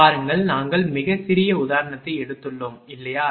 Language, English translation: Tamil, Look, we have taken a very small example, right